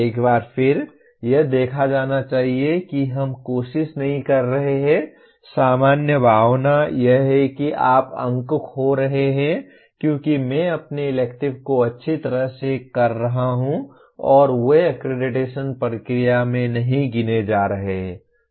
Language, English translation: Hindi, Once again it should be seen that we are not trying to, the general feeling is that you are losing marks because I am doing my electives well and they are not getting counted in the accreditation process